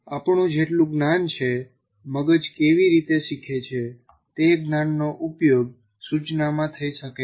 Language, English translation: Gujarati, So whatever little knowledge that we have, how brains learn, that knowledge can be used in instruction